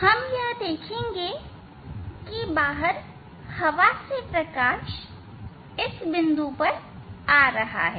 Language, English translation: Hindi, from outside in air we will see that this light is coming from this point ok